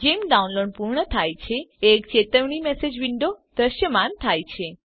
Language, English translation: Gujarati, Once the download is complete, a warning message window appears